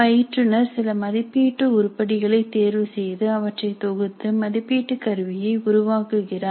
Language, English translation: Tamil, The instructor selects certain assessment items, combines them to form the assessment instrument